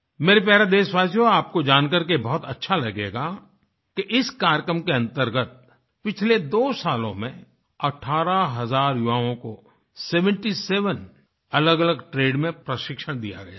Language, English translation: Hindi, My dear countrymen, it would gladden you that under the aegis of this programme, during the last two years, eighteen thousand youths, have been trained in seventy seven different trades